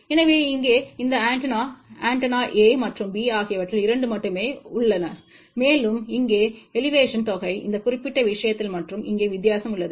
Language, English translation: Tamil, So, here only 2 of these antenna, antenna A and B, and here is the result for some of Elevation in this particular thing and here is the difference